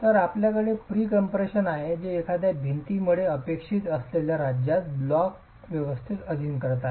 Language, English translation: Marathi, So, you have pre compression which is subjecting the block arrangement into a state that is expected in a wall